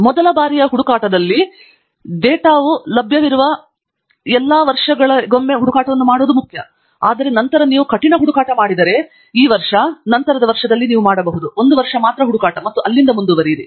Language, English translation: Kannada, For a first time search, it is important to have the search done for all the years where the data is available, but then as you move on, if you have done rigorous search, for example, this year, then next year you can do the search only for one year and continue from there on